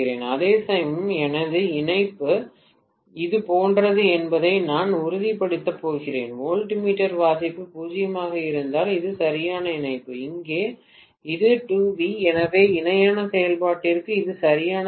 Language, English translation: Tamil, Whereas on the secondary I am going to make sure that my connection is like this, this is the correct connection if voltmeter reading is 0, here it is 2V, so this is not correct for parallel operation